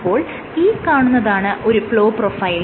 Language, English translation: Malayalam, So, this is a flow profile